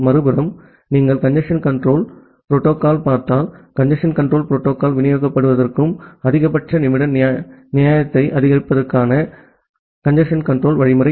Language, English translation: Tamil, On the other hand, if you look into the congestion control algorithm, the congestion control algorithm to make the congestion control algorithm distributed and to support max min fairness